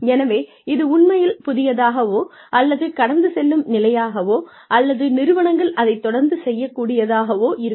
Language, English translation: Tamil, So, is that really something new, or something that is, just a passing phase, or, will organizations, continue to do that